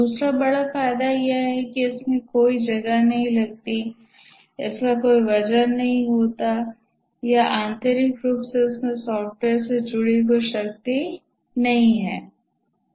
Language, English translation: Hindi, The other big advantage is that consumes no space, it has no weight or intrinsically there is no power associated with software